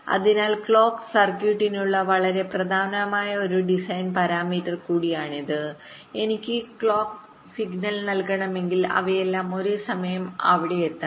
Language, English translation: Malayalam, so this is also one very important design parameter for clock circuitry: that whenever i want to, whenever i want to feed the clock signal, they should all reach there almost at the same time